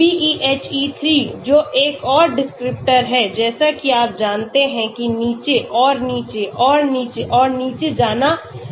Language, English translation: Hindi, BeHe3 that is another descriptor like that you know go down and down and down and down